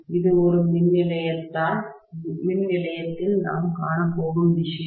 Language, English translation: Tamil, This is the kind of thing that we are going to see in a power station